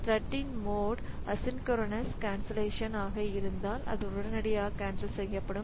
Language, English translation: Tamil, So, if the mode of the thread is asynchronous cancellation, then it will be canceling it immediately